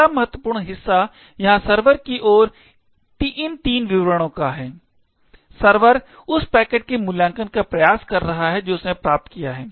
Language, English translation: Hindi, The next important part is these three statements over here at the server end, the server is trying to evaluate the packet that it has obtained